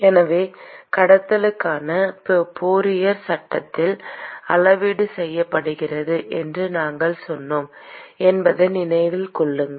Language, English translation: Tamil, So remember that for conduction, we said the quantification is done by Fourier law